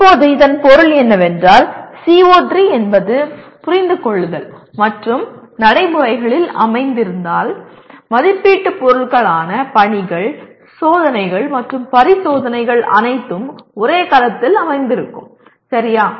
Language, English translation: Tamil, Now that means if CO3 is located in Understand and Procedural your assessment items that is assessment items include assignments, tests, and examination all of them are located in the same cell, okay